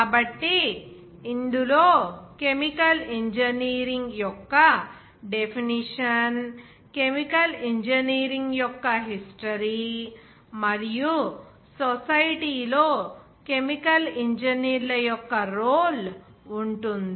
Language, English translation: Telugu, So it will include the definition of chemical engineering, history of chemical engineering, and the role of chemical engineers in society